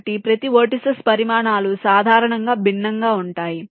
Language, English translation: Telugu, so the sizes of each of the vertices can be different in general